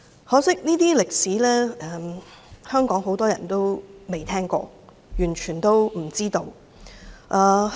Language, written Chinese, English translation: Cantonese, 可惜，很多香港人未聽過這些歷史，也完全不知情。, It is a pity that many Hong Kong people have never heard of these historical facts and they are completely unaware of what happened then